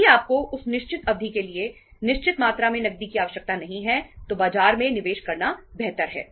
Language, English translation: Hindi, If you donít require certain amount of the cash for that given period of time, itís better to invest that in the market